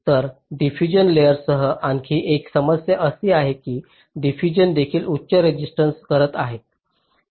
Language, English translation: Marathi, so an another problem with the diffusion layer is that diffusion is also having high resistance